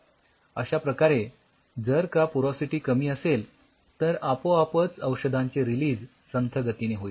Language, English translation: Marathi, So, the porosity is less then automatically the release of the drug will be slow